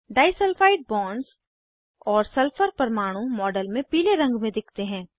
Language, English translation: Hindi, Disulfide bonds, and sulphur atoms are shown in the model in yellow colour